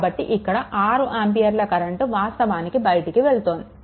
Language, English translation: Telugu, So, question is that here this 6 ampere current actually